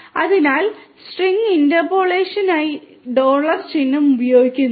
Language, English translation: Malayalam, So, dollar sign is used for string interpolation